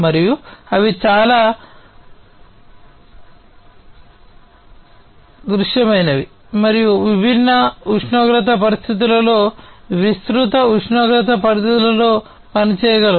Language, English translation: Telugu, And they are quite robust and can operate in broad temperature ranges, under different varied environmental conditions and so on